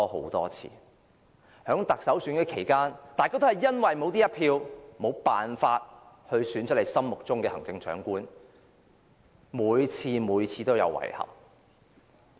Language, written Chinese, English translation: Cantonese, 在多次特首選舉期間，大家都因為沒有這一票，無法選出心儀的行政長官，每次都感到遺憾。, During the several Chief Executive Elections in the past we all felt this regret because we did not have a vote and could not select a Chief Executive we wanted